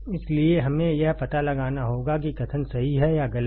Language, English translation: Hindi, So, we have to find out whether the statement is true or false